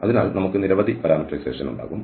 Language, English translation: Malayalam, So we can have several parameterization